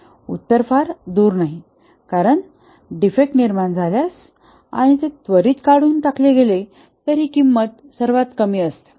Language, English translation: Marathi, The answer is not very far to seek because if defect occurs and it is removed immediately then that is the best thing